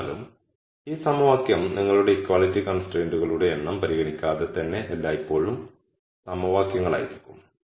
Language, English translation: Malayalam, However, this equation irrespective of the number of equality constraints you have will always be n equations